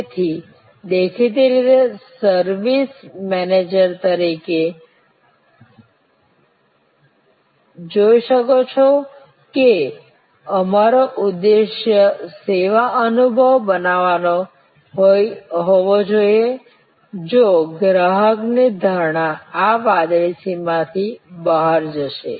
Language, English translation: Gujarati, So; obviously, as you can see as a services manager our aim should be to create a service experience, were customers perception will go beyond this blue boundary